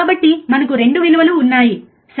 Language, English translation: Telugu, So, we have 2 values, right